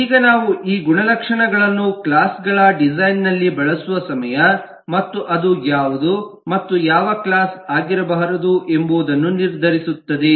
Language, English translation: Kannada, it s the time that we use this attributes in design of the classes, and that will decide what is and what should not be a class